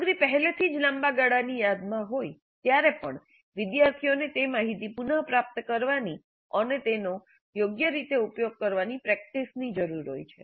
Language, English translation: Gujarati, Even when the material is in long term memory already, students need practice retrieving that information and using it appropriately